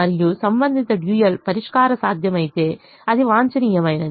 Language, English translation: Telugu, and if the corresponding dual solution is feasible, then it is optimum